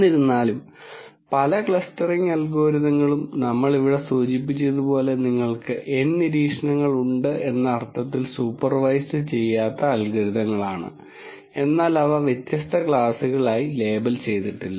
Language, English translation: Malayalam, However, many of the clustering algorithms are unsupervised algorithms in the sense that you have N observations as we mentioned here but they are not really labelled into different classes